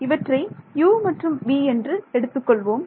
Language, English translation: Tamil, So, this is a 90 degrees let us call this let us say u and v